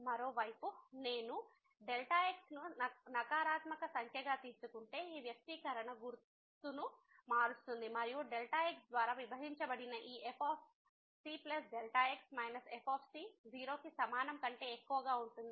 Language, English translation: Telugu, On the other hand if I take as a negative number then this expression will change the sign and this divided by will become greater than equal to 0